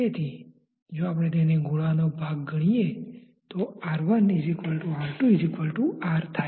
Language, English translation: Gujarati, So, if we consider it a part of the sphere R 1 equal to R 2 equal to R